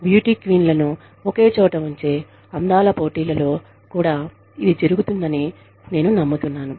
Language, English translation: Telugu, I believe, this also happens in beauty pageants, where the beauty queens are put together, in one location